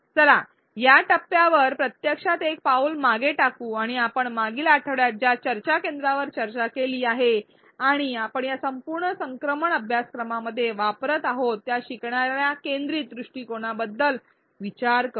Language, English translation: Marathi, Let us actually take a step back at this point and think about the learner centric approach that we have discussed in the previous week and that we are using throughout this course